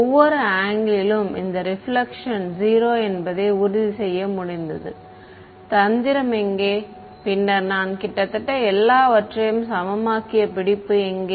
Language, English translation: Tamil, I have managed to make sure that this reflection is 0 at every angle right where is the trick then where is the catch I have made almost everything equal